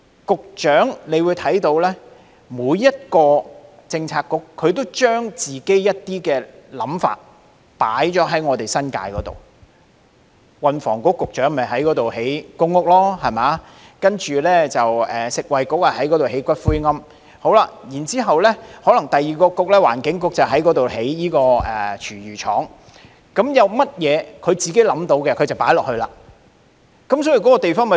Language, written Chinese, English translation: Cantonese, 局長可以看到，每個政策局都會將自己的想法加諸新界區，運輸及房屋局要在新界覓地興建公共房屋，食物及衞生局要在新界覓地建骨灰龕，環境局則要興建廚餘廠，各個政策局想到就做，令新界區規劃紊亂。, The Transport and Housing Bureau wants to find land in the New Territories for public housing construction . The Food and Health Bureau wants to find land in the New Territories for columbaria . The Environment Bureau wants to build a food waste collection plant there